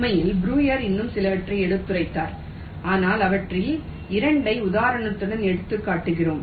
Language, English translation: Tamil, in fact, breuer illustrated and stated a few more, but we are just illustrating two of them with example so that you know exactly what is being done